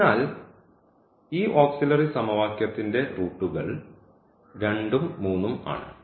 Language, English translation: Malayalam, So, that is the solution the roots of this auxiliary equation as 2 and 3